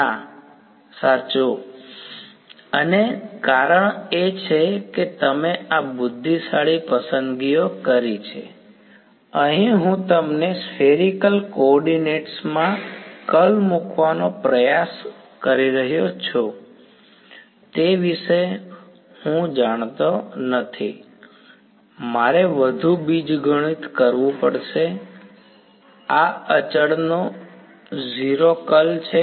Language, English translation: Gujarati, No, right and the reason is because you made these intelligent choices, here I did not go about you know trying to put in the curl in the spherical co ordinates right I would have I have to do lot more algebra this is 0 curl of a constant